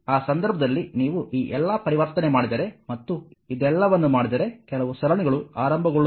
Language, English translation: Kannada, So, in that case if you make all this conversion and make your series your after making this all this some series combination will come